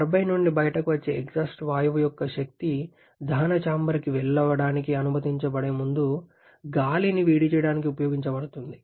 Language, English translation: Telugu, The idea is that the energy of the exhaust gas coming out of the turbine will be utilised to preheat the air before it is allowed to go to the combustion chamber